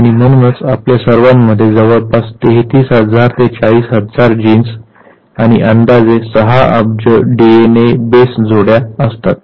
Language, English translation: Marathi, And hence we all have somewhere around 33000 to 40000 genes and approximately six billion DNA base pairs